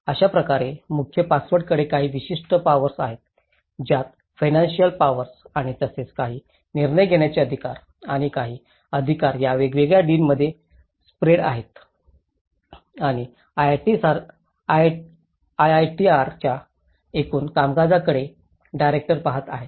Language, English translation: Marathi, So in that way, head has certain powers including the financial power and as well as certain decision making authority and certain authority has been spitted into these different deans and the director is looking at the overall working of the IITR